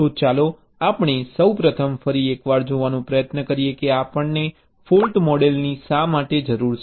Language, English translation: Gujarati, so let us first try to see once more that why we need a fault model